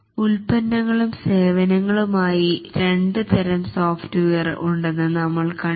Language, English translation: Malayalam, We have seen that there are two types of software, the products and the services